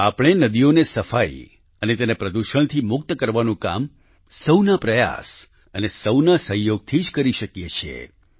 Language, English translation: Gujarati, We can very well undertake the endeavour of cleaning rivers and freeing them of pollution with collective effort and support